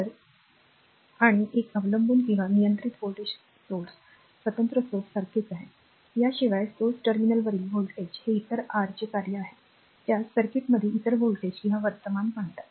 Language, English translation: Marathi, So, and a dependent or controlled voltage source is similar to an independent source, except that the voltage across the source terminals is a function of other your what you call other voltages or current in the circuit for example, look